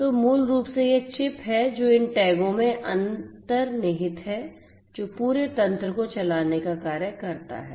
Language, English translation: Hindi, So, basically it’s the chip that is embedded in these tags that makes the entire you know entire mechanism function